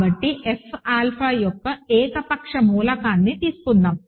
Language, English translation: Telugu, So, let us take an arbitrary element of F alpha